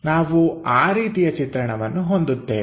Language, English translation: Kannada, We will have such kind of view